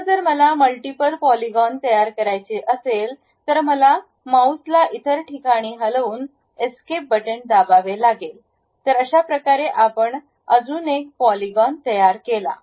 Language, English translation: Marathi, Now, if I would like to construct multiple polygons, what I have to do is pick the point, just move my mouse to some other location, press Escape button, then we we are done with that another polygon